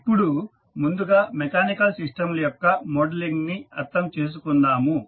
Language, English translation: Telugu, Now, let us first understand the modeling of mechanical systems